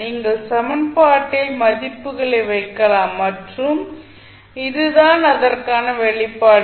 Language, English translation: Tamil, You can put the values in the equation and this expression for it